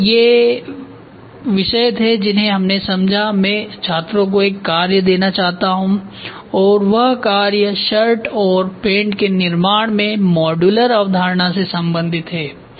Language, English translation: Hindi, So, these were the topics which were covered at then I would like to give a task to students the task is; how do you relate modular concept in manufacturing of shirts and pants